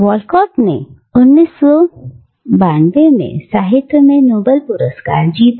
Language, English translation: Hindi, Walcott won the Nobel prize in literature in 1992